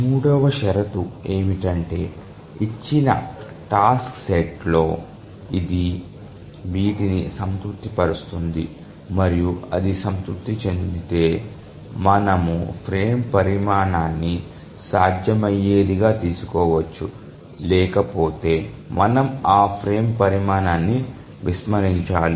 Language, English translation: Telugu, So, the third condition we can write in this expression and we will see given a task set whether it satisfies this and then if it satisfies then we can take the frame size as feasible, otherwise we have to discard that frame size